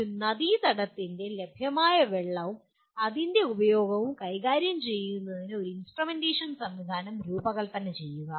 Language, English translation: Malayalam, Design an instrumentation system for managing available water and its utilization in a river basin